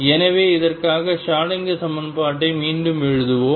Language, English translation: Tamil, So, let us rewrite the Schrodinger equation for this